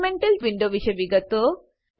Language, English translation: Gujarati, * Details about elemental windows